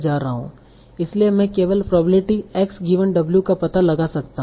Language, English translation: Hindi, So that's how I find out the probability of x given w